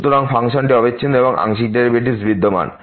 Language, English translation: Bengali, So, the function is continuous and the partial derivatives exist